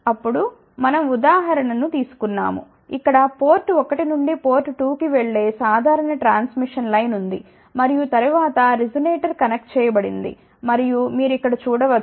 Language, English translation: Telugu, Then, we had taken the example, where we had a simple transmission line going from pot 1 to port 2 and then resonator was connected and you can see over here